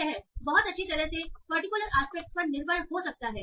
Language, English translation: Hindi, So this might very well depend on the particular aspect